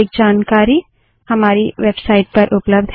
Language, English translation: Hindi, More information on the same is available from our website